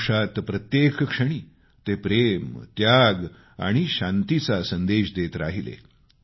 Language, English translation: Marathi, In every moment of his life, the message of love, sacrifice & peace was palpable